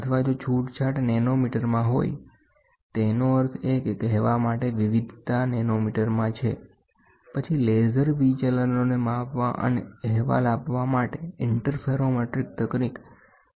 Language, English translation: Gujarati, Or, if the tolerance is in nanometer; that means, to say variation is in nanometer, then laser interferometric techniques are used to measure the deviations and report